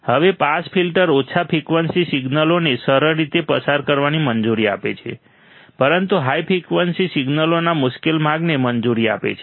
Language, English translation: Gujarati, Now, a pass filter allows easy passage of low frequent signals, but difficult passage of high frequency signals